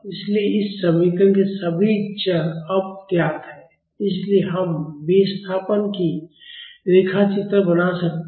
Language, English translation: Hindi, So, all the variables in this equation are known now so, we can plot the displacement